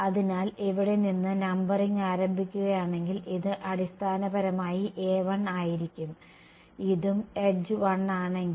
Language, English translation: Malayalam, So, over here this is going to be basically a 1 if the numbering begins from here if this is also edge 1 right